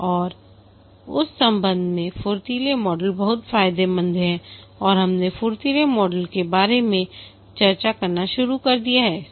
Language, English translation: Hindi, And in that respect, the agile model is very advantageous and we had just started discussing about the agile model